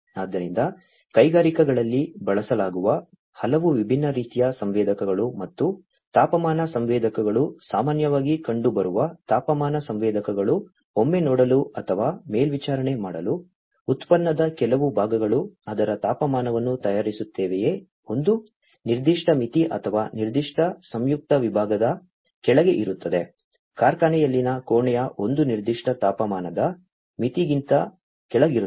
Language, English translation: Kannada, So, there are many different types of sensors that are used in the industries and temperature sensors are the common once temperature sensors are required to see or, to monitor, whether certain parts of the product that is being manufactured the temperature of it stays below a certain threshold or a certain compound compartment, a chamber in the factory is staying below a certain temperature threshold